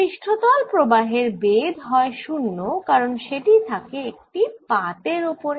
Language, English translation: Bengali, surface current is of thickness zero because this is on a sheet of current